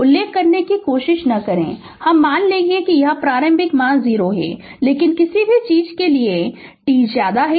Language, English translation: Hindi, Right, if you do not if you do not try to mention then we will assume that it is initial value 0, but for anything less than t less than 0 it is 60 volt right